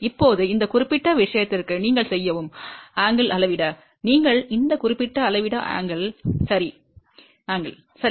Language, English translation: Tamil, Now, for this particular thing to measure the angle, what you do; you measure this particular angle ok